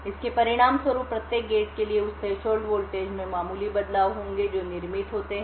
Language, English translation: Hindi, As a result of this, there will be minor variations in that threshold voltage for each and every gate that is manufactured